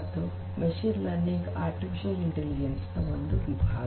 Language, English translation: Kannada, And machine learning itself is a subset of artificial intelligence